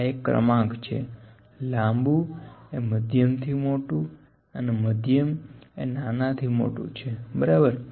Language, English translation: Gujarati, This is order, long is greater than medium is greater than smaller, ok